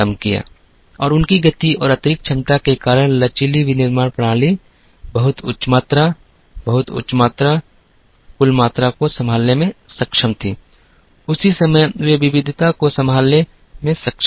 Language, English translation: Hindi, And flexible manufacturing systems because of their speed and additional capability, were able to handle very high volumes, very high aggregate volumes, at the same time they were able to handle variety